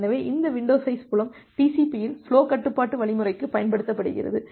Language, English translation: Tamil, So, this window size field is used for flow control algorithm in TCP